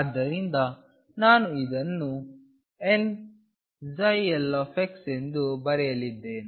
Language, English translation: Kannada, So, I am going to write this as n psi l x